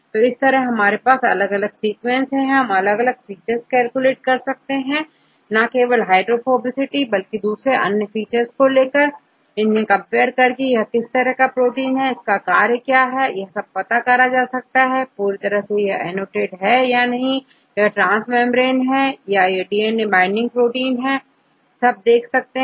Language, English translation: Hindi, So, likewise if you have different sequences, you calculate various features, not just hydrophobicity, various features you can calculate, and then you can compare with respect to the different features, and see whether you can get the function of any particular protein, if it is completely not annotated, you can see these could be probably a transmembrane protein or DNA binding protein or whatever probable functions and so on